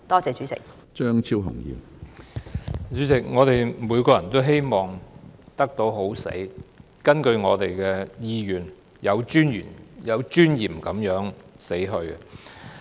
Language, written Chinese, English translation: Cantonese, 主席，我們每個人都希望能夠"好死"，按照我們的意願有尊嚴地死去。, President every one of us hopes that we can die pleasantly with dignity in accordance with our wishes